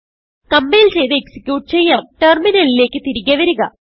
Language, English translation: Malayalam, Let us compile and execute come back to our terminal